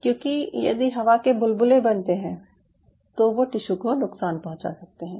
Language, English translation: Hindi, ok, there is no air bubble formation taking place here, because such air bubble formation damages the tissue